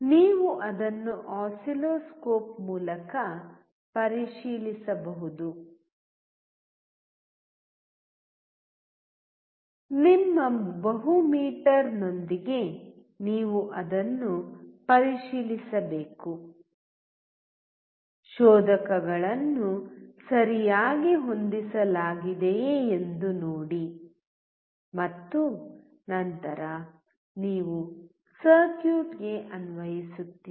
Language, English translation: Kannada, You have to check it with oscilloscope; you have to check it with your multi meter; see whether the probes are properly set and then you apply to the circuit